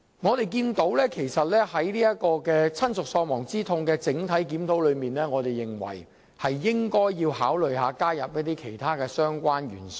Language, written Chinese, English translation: Cantonese, 我們認為，當局在就親屬喪亡之痛賠償款額進行全面檢討時，應考慮其他相關因素。, We are of the view that the authorities should consider other relevant factors in conducting a comprehensive review on the bereavement sum